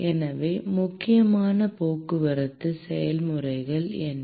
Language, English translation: Tamil, So, what are the important transport processes